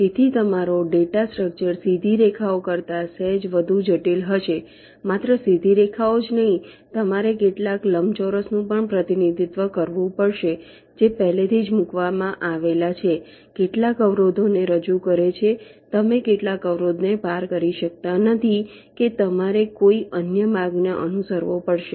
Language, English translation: Gujarati, so your data structure will be slightly more complex then straight lines, not only straight lines, you also have to represent some rectangles which represent some obstacles already placed